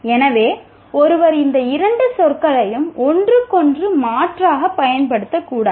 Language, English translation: Tamil, So, one should not use these two words interchangeably